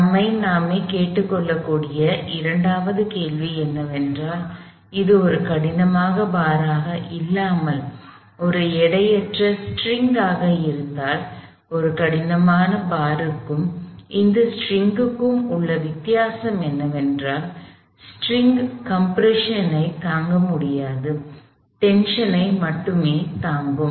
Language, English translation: Tamil, The second question we can ask ourselves is, if this was not a rigid bar, but a weightless steel, so the difference between a rigid bar and a string is that, the string cannot sustain compression, it can only sustain tension